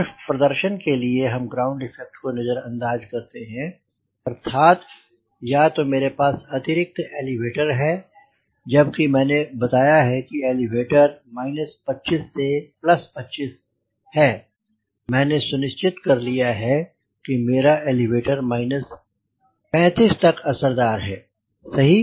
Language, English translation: Hindi, that means either i have extra elevator, taken care, when i have said elevator is minus twenty five and plus twenty five, i have already ensure that my elevator is effective up to minus thirty five